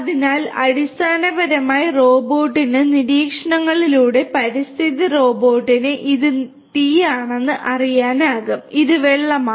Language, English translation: Malayalam, So, basically the robot can through observations interactions with the environment robot will know that this is fire whereas; this is water